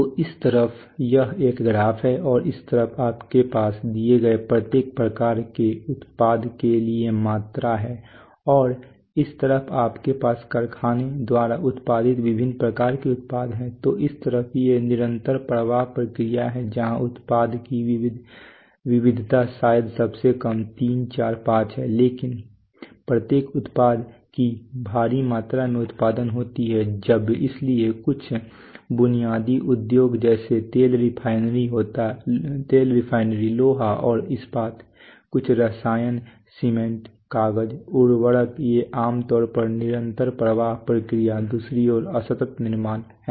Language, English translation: Hindi, Right so on this side this is there is a graph and on this side you have the quantity for each given type of product and on this side you have variety of the types of product that that factory produces, so on the, these are so these are these are continuous flow processes where the product variety is probably lowest 3, 4, 5 but huge quantities of that of each product gets produced so some basic industries like oil refinery, iron and steel some chemicals, cement, paper, fertilizer these are typically continuous flow process, on the other hand discrete manufacturing is the